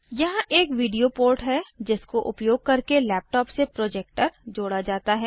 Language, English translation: Hindi, There is a video port, using which one can connect a projector to the laptop